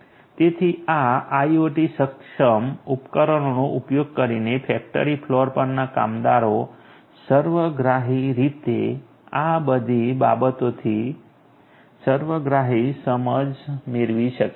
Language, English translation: Gujarati, So, all of these things holistically the workers on the factory floor using this IoT enabled devices can get a holistic understanding